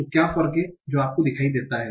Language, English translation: Hindi, So what is the difference that you are seeing